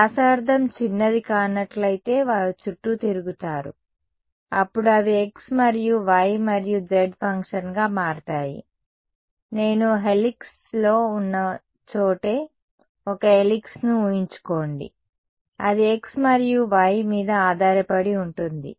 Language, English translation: Telugu, If the radius is not small then they could small around, then they it will become a function of x and y and z right, imagine a helix right where I am on the helix also depends on x and y you know not just purely z